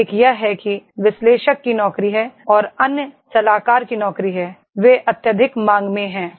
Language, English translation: Hindi, One is that is the analyst’s job and other is consultant’s job, they are highly in demand